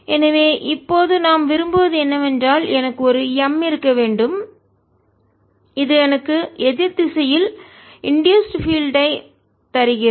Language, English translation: Tamil, so what we want now, that i should have an m that gives me an induced field in the opposite direction, like this